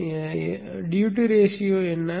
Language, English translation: Tamil, Now what is the duty ratio